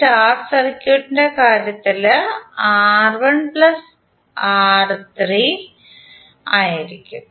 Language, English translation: Malayalam, That means the numerator will be R1 R2 plus R2 R3 plus R3 R1